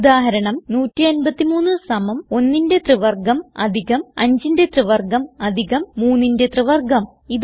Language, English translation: Malayalam, For example, 153 is equal to 1 cube plus 5 cube plus 3 cube